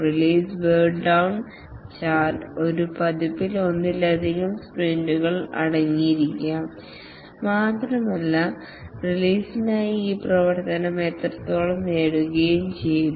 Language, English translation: Malayalam, The release burn down chart, a release may consist of multiple sprints and how much of this work for the release has been achieved